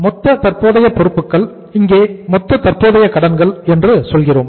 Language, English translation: Tamil, Total current liabilities, you will say here as the total, total current liabilities